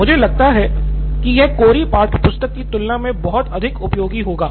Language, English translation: Hindi, I find it to be much more useful than just the raw textbook alone